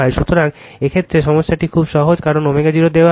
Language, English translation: Bengali, So, in this case this problem is very simple, because omega 0 is given